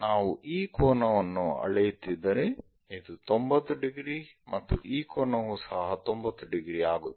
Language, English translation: Kannada, So, if we are measuring this angle this is 90 degrees and this angle is also 90 degrees